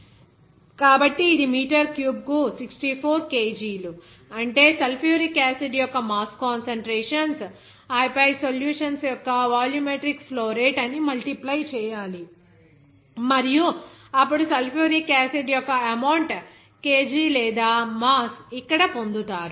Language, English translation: Telugu, So, simply it is 64, the 64 kg per meter cube, that is mass concentrations of sulfuric acid, and then multiply by what is that this is your volumetric flow rate of the solutions and then you will get that here what would be the amount that is kg of or mass of sulfuric acid